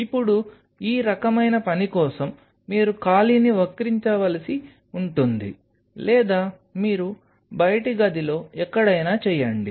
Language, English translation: Telugu, Now for these kinds of work you may needed to curve out a space either you do it somewhere out here in the outer room where